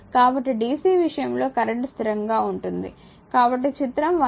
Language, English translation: Telugu, So, but dc it has current is constant so, figure 1